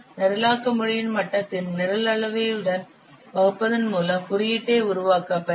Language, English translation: Tamil, By dividing program volume with the level of the programming language which will be used to develop the code